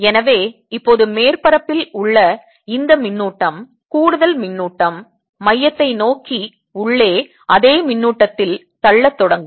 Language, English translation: Tamil, so now this charge, extra charge in the surface will start pushing in the same charge inside, pushing towards center